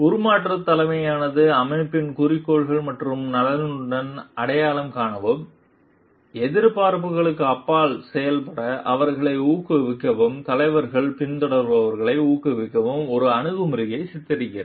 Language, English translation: Tamil, The transformational leadership depicts an approach by which leaders motivate followers to identify with the organizations goals and interest and encourage them to perform beyond the expectations